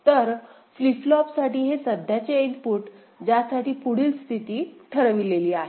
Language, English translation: Marathi, So, this current input for the flip flop for which the next state is defined ok